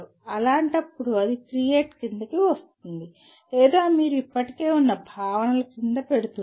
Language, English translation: Telugu, In that case it will come under create or you are putting under the existing known concepts